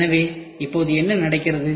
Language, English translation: Tamil, So, now, what is happening